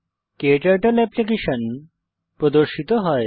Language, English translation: Bengali, KTurtle application opens